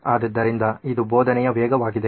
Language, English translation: Kannada, So it’s pace of teaching